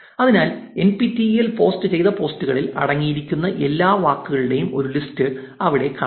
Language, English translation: Malayalam, So, there you see a list of all the words that were contained in the posts that the NPTEL page did